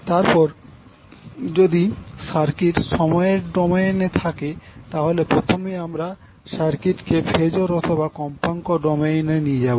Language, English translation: Bengali, That means if the circuit is given in time domain will first convert the circuit into phasor or frequency domain